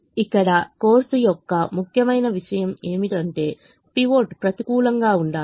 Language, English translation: Telugu, the important thing here, off course, is the pivot has to be negative